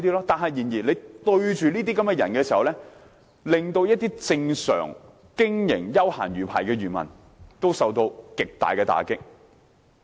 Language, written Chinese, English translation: Cantonese, 正因為這些人，一些經營正常休閒魚排的養魚戶受到極大打擊。, The practices of these people have dealt a severe blow to mariculturists running recreational fishing activities lawfully